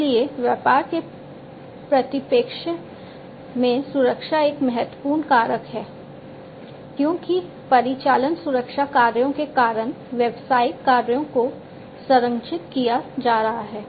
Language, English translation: Hindi, So, protection is an important factor in business perspective, because of the operational security operations the business actions are going to be protected